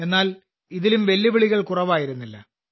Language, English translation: Malayalam, But there were no less challenges in that too